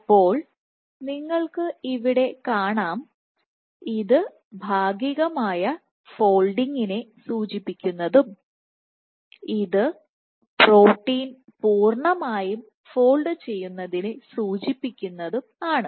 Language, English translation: Malayalam, So, here you see that this is indicative of partial folding and here the protein is completely folded